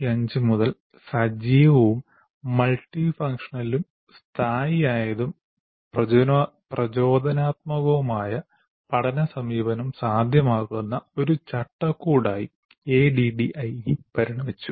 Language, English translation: Malayalam, ADE evolved since 1975 into a framework that facilitates active, multifunctional, situated, and inspirational approach to learning